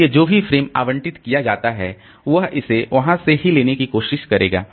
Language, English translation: Hindi, So, whatever frames are allocated, so it will try to take it from there only